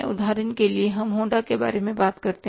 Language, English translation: Hindi, For example, you talk about Honda